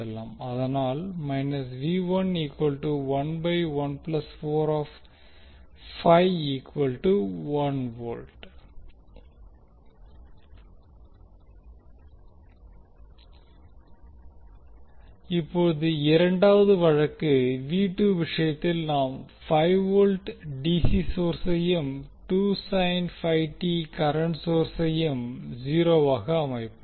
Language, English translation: Tamil, Now the second case, is that in case of v 2 we will set 5 volt dc source and the 2 sin 5 t current source 0